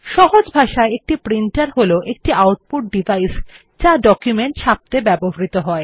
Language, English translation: Bengali, A printer, in simple words, is an output device used to print a document